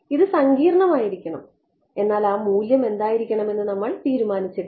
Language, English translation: Malayalam, It should be complex, but we had not decided what that value is right